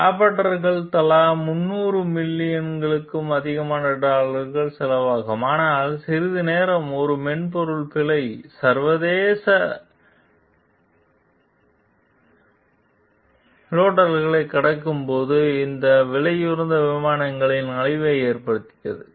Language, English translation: Tamil, The Raptors cost more than dollar 300 million each, but for a while a software bug caused havoc in this pricey planes when they crossed the international dateline